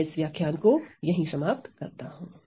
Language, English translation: Hindi, So, I end this lecture at this point